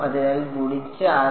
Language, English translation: Malayalam, So, this is going to be